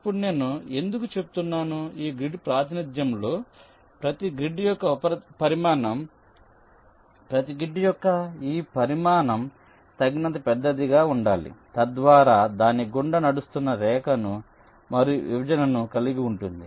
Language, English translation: Telugu, now why i am saying is that in this grid representation, the size of each grid, this size of the each grid, should be large enough so that it can contain the line that is running through it and also the separation